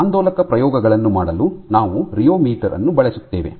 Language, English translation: Kannada, So, for doing oscillatory experiments we make use of a rheometer